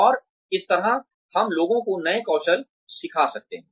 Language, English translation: Hindi, And, this way we can teach people new skills